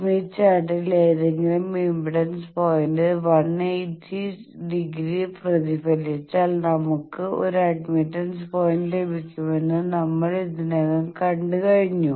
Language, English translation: Malayalam, The point is actually we have already seen that if we reflect any impedance point 180 degree in the smith chart we get an admittance point